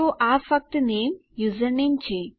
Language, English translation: Gujarati, So this is just name, username